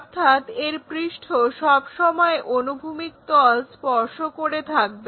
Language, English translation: Bengali, So, the face is always be touching that horizontal plane